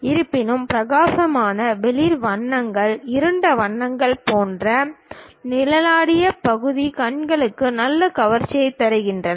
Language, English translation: Tamil, Although, the shaded portion like bright, light colors, dark colors this kind of things gives nice appeal to eyes